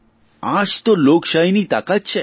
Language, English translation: Gujarati, This is the real power of democracy